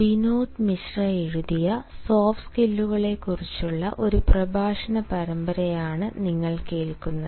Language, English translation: Malayalam, you are listening to a series of lectures on soft skills by binod mishra and ah